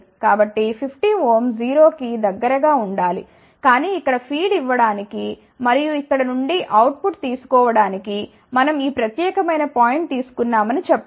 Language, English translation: Telugu, So, 50 ohm should be relatively closer to 0 , but let us say we took this particular point to feed here and take the output from here